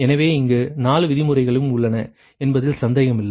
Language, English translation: Tamil, so here, no question, all four terms are there